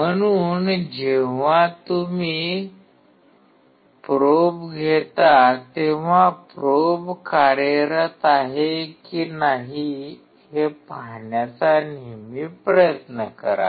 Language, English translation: Marathi, So, when you take a probe always try to see whether probe is working or not